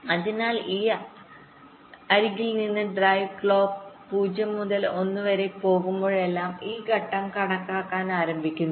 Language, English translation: Malayalam, so from this edge, whenever drive clock goes from zero to one, this stage the starts calculating